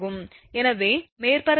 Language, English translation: Tamil, So, if surface factor is 0